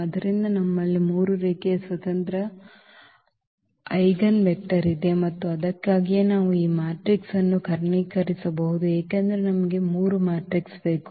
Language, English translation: Kannada, So, we have 3 linearly independent linearly independent eigenvector and that is the reason now we can actually diagonalize this matrix because we need 3 matrices